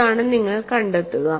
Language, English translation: Malayalam, And what you find here